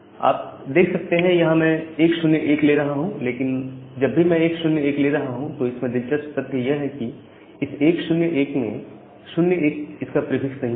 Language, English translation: Hindi, So, here I am taking 1 0 1, but whenever I am taking 1 0 1 the interesting fact is that this 1 0 1, so this 0 1 is not a prefix of this 1 0 1